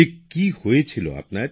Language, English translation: Bengali, What had happened to you